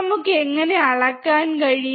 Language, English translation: Malayalam, How can we measure